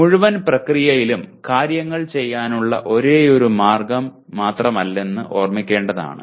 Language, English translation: Malayalam, In this whole process it should be remembered there is nothing like a, the only way to do things